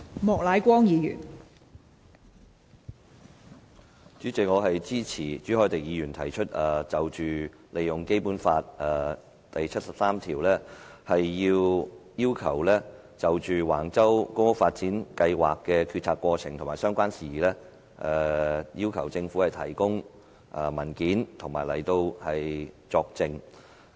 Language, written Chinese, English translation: Cantonese, 代理主席，我支持朱凱廸議員提出根據《基本法》第七十三條動議的議案，就橫洲公共房屋發展計劃的決策過程和相關事宜要求政府提供文件及到立法會作證。, Deputy President I support the motion moved by Mr CHU Hoi - dick under Article 73 of the Basic Law to request the government official to attend before the Council to testify and to produce documents in relation to the decision - making process of the public housing development plan at Wang Chau and related issues